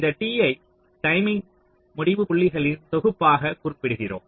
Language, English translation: Tamil, so we refer this t to be the set of timing endpoints